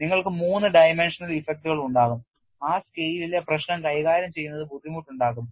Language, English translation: Malayalam, You will also have three dimensional effects at that scale which also makes the problem difficult to handle